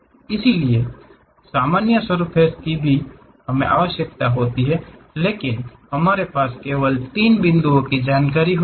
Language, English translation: Hindi, So, normals of the surface also we require, but we have only information about three points